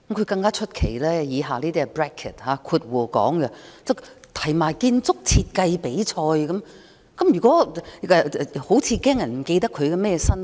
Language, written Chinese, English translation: Cantonese, 更出奇的是，原議案建議舉辦"建築設計比賽"，好像議案動議人擔心有人不記得他是甚麼身份。, More surprisingly the original motion suggests holding architectural design competitions it seems that the motions mover is worried that people might have forgotten his occupation